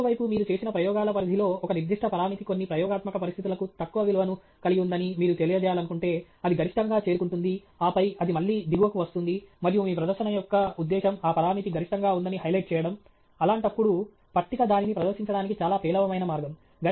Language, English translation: Telugu, On the other hand, if you want to convey that, you know, in the range of experiments that you have done, a certain parameter has a low value for some set of experimental conditions, then it reaches a maximum, and then it comes down again to a lower value, and the purpose of your presentation is to highlight that there is a maximum for that parameter; in that case, a table is a very poor way to present it